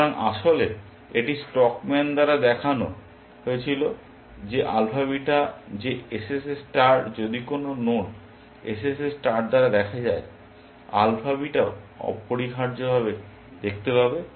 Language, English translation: Bengali, So, in fact, it was shown by stockman that, alpha beta that, SSS star, if any node is seen by SSS star, alpha beta will also see that essentially